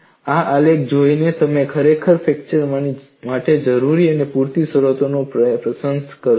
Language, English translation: Gujarati, By looking at this graph, you would really appreciate the necessary and sufficient conditions for fracture